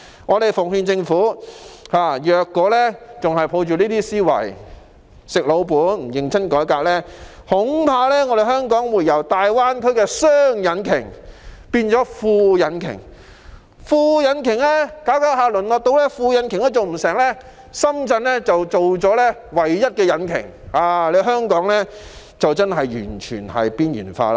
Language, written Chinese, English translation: Cantonese, 我們奉勸政府，如果還抱着這些思維、"食老本"、不認真改革，恐怕香港會由大灣區的"雙引擎"變為"副引擎"，再逐漸淪落到連"副引擎"也做不到，深圳就成為了唯一的引擎，香港屆時就真的完全被邊緣化。, We advise the Government that if it still sticks to this kind of thinking solely relying on our conventional strengths without embarking on any reform in a serious manner I am afraid that Hong Kong will turn from being one of the twin engines of the Greater Bay Area into being the auxiliary engine and then even be incapable of being the auxiliary engine . By then Shenzhen will become the sole engine and Hong Kong will genuinely be completely marginalized